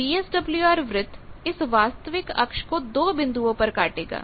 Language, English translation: Hindi, So, the VSWR circle will cut the real axis at 2 points